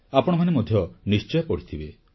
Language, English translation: Odia, You too must have read it